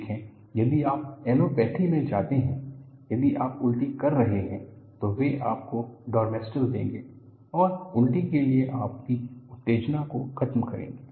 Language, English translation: Hindi, See, if you go to allopathy, if you are vomiting, they would give you Domstal and arrest your sensation for vomiting